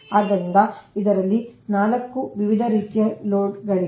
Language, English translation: Kannada, so there are four different type of loads